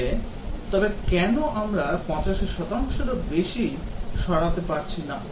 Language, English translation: Bengali, But then why is it that we are not able to remove more than 85 percent